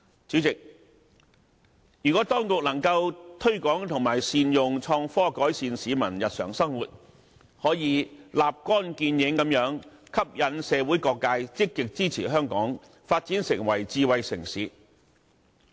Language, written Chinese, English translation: Cantonese, 主席，如果當局能夠推廣和善用創新科技改善市民日常生活，可以立竿見影地吸引社會各界積極支持香港發展成為智慧城市。, President if the authorities can promote and make optimal use of innovation and technology for improvement of peoples daily living active support will immediately be drawn across the board for Hong Kong to develop into a smart city